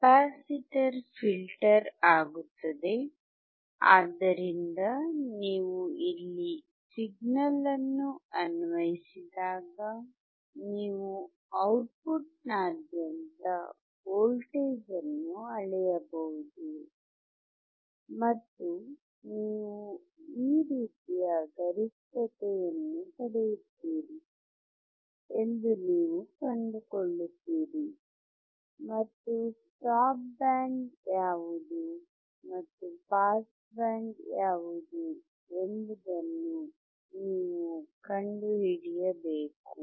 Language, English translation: Kannada, Capacitor becomes filter, so when you apply signal here, then you can measure the voltage across output, and you find that you get the peak like this, and, you have to find what is a stop band and what is a pass band